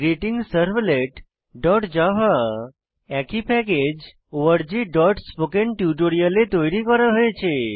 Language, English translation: Bengali, Note that GreetingServlet.java is created in the same package org.spokentutorial